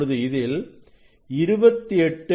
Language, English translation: Tamil, now, it is 26